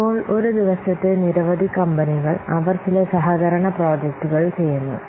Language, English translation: Malayalam, So, nowadays many companies, they do some collaborative projects